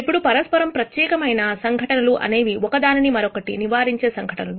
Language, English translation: Telugu, Now, mutually exclusive events are events that preclude each other